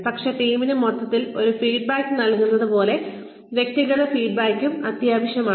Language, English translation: Malayalam, But, individual feedback is also, just as essential to give the team, a feedback, as a whole